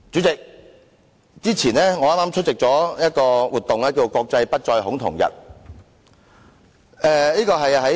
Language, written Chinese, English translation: Cantonese, 代理主席，我於5月17日出席了"國際不再恐同日"活動。, Deputy Chairman I attended an event of the International Day against Homophobia Transphobia and Biphobia on 17 May